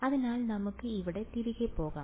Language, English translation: Malayalam, So, let us go back here